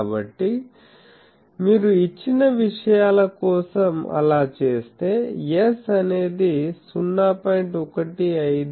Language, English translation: Telugu, So, if you do that for the given things s will be something like 0